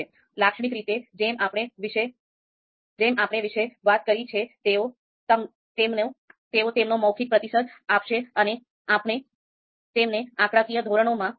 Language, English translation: Gujarati, So typically as we have talked about, they will give their verbal response and we will be converting them into numeric numerical scales